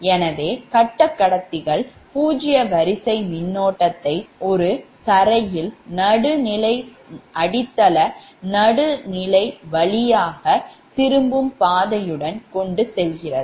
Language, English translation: Tamil, so the phase conductors carry zero sequence current, with written first through a ground neutral, grounded neutral